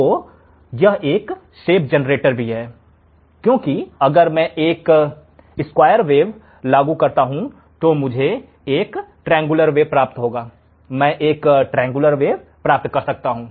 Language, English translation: Hindi, So, it is a shape generator also, because if I apply a square wave I can obtain a triangle wave, I can obtain a triangle wave